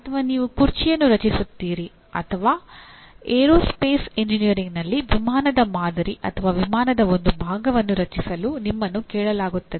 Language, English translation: Kannada, Or you create the chair or in aerospace engineering you are asked to create a let us say a model of a plane, whatever part of a plane, whatever it is